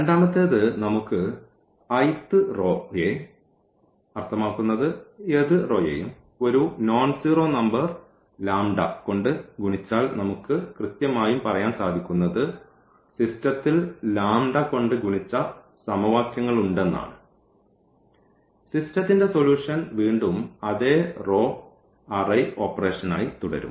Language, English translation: Malayalam, The second one we can multiply the i th row means any row by a nonzero number lambda and this is precisely equivalent to saying that we have those equations and we are multiplying any equation by some number and again that system the solution of the system will remain we remain the same with that operation